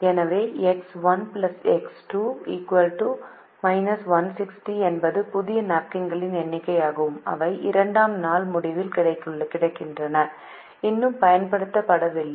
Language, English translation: Tamil, so x one plus x two minus one, sixty is the number of new napkins that are available at the end of day two and have not yet been used, so they can be used to meet the demand of day three